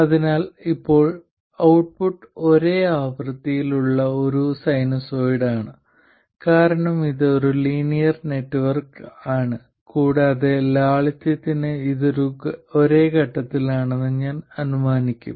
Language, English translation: Malayalam, So, now the output is a sinusoid of the same frequency because it is a linear network and for simplicity I will assume that it is in the same phase